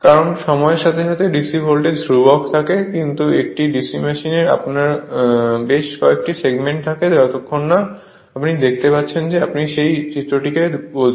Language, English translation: Bengali, Because with because with time DC voltage is constant, but in a DC machine you have several segments you cannot unless and until you see in your exact your what you call that figure right